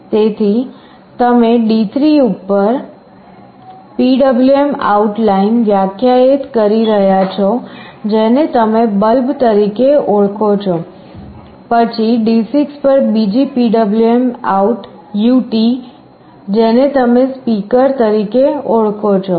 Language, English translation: Gujarati, So, you are defining a PwmOut line on D3, which you call as “bulb”, then another PwmOut ut on D6, which you call “speaker”